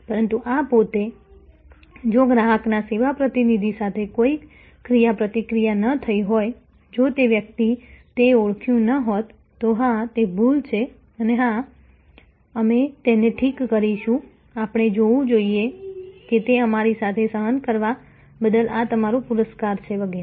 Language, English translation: Gujarati, But, this in itself, if there was no interaction that happened with the customer's service representative, if that person had not recognize that, yes it is a lapse and yes, we will set it right and yes, we must see that is are your rewarded and for a bearing with us and etc